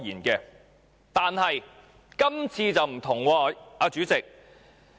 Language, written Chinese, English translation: Cantonese, 然而，這次卻不同，代理主席。, However the bill this year is different